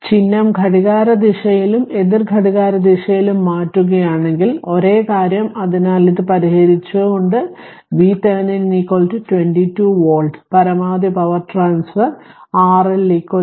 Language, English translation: Malayalam, If you change the sign clockwise and anticlockwise same thing right; so with this you solve V Thevenin is equal to 22 volt therefore, 1 maximum power transfer R L is equal to R thevenin